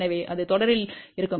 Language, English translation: Tamil, So, that will be in series